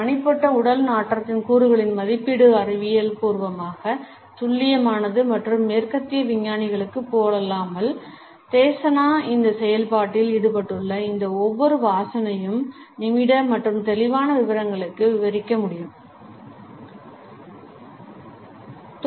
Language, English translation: Tamil, The assessment of the components of personal body odor is scientifically accurate and unlike western scientists, the Desana are also able to describe each of these smells which are involved in this process in minute and vivid detail